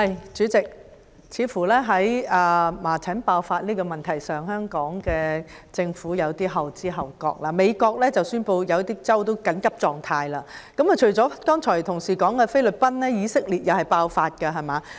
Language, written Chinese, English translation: Cantonese, 主席，在麻疹爆發的問題上，似乎香港政府有些後知後覺，美國已宣布部分州份進入緊急狀態，除了同事剛才提及的菲律賓外，以色列同樣爆發麻疹疫症，對嗎？, President it seems that the Government has been slow to react to the outbreak of measles . In the United States some states have already declared a state of emergency . Outbreaks of measles epidemic have occurred not only in the Philippines as mentioned by a Member but also in Israel right?